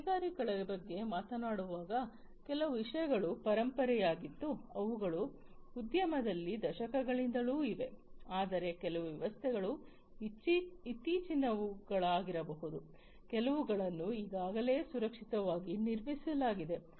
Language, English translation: Kannada, So, when we are talking about industries certain things are legacy, some systems are legacy systems, which have been there for decades in the industry whereas, certain systems might be the recent ones, which are already you know, which have already been built to be secured